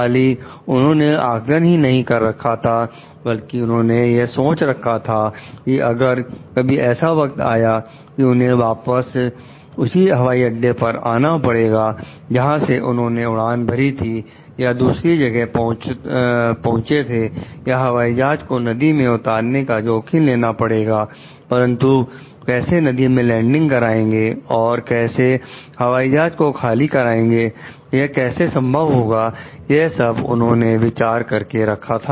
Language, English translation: Hindi, Not only did he need to decide whether there was a time to return to the airport from which he had taken off or reach another or to risk ditching the plane in the river but also how to go about landing in the river in a way that made it possible to evacuate the plane